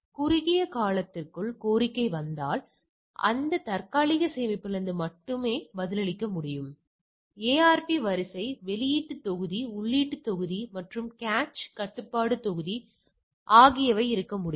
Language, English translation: Tamil, So, that if there is request coming within a shorter time period, it can reply from that cache only, there can ARP queue output module input module and cache control module